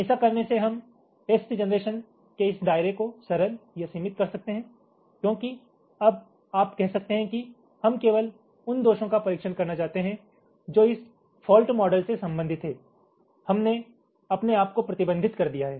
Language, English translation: Hindi, by doing this we can say, simplifies or limit this scope of test generation, because now you can say that want to test only faults that belong to this fault model